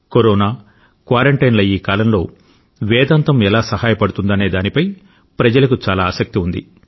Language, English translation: Telugu, People are much keen on knowing how this could be of help to them during these times of Corona & quarantine